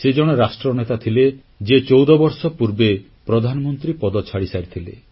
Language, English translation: Odia, He was a leader who gave up his position as Prime Minister fourteen years ago